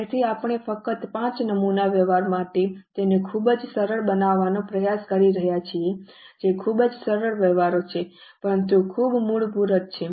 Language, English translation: Gujarati, So, we are just trying to make it very simple for five sample transactions, which are very easy transactions, but very basic